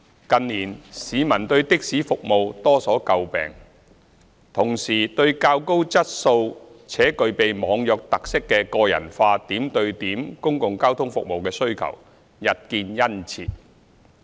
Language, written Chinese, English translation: Cantonese, 近年市民對的士服務多所詬病，同時對較高質素且具備"網約"特色的個人化點對點公共交通服務的需求日見殷切。, In recent years there have been frequent public criticisms of taxi services along with a growing demand for personalized and point - to - point public transport services of higher quality with online hailing features